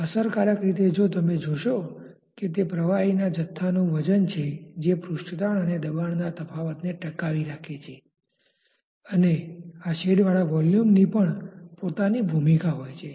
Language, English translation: Gujarati, Effectively if you see it is the weight of the volume of the liquid that is being sustained to the surface tension and the pressure differential, and there these shaded volumes also have their own roles